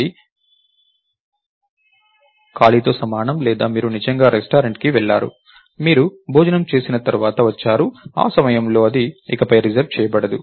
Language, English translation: Telugu, So, that is equivalent to free or you actually went to the restaurant, you had your meal you return back, at that point its not reserved anymore